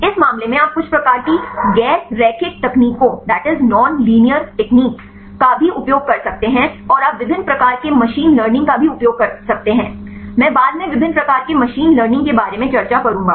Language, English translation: Hindi, In this case you can also use some kind of non linear techniques and you can also use the different types of machine learning, I will discuss later about the different types of machine learning